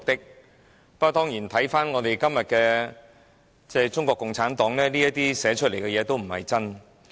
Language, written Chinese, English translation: Cantonese, 不過，當然，看回今天的中國共產黨，這些寫明的事實都不是真的。, However of course if one looks back on todays Communist Party of China CPC all of these stipulations in black and white are not real